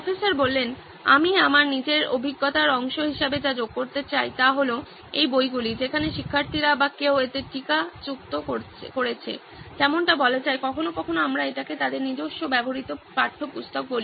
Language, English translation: Bengali, What I would like to add as part of my own experience is that these books where students or somebody has annotated it, like say sometimes we call it their own used textbooks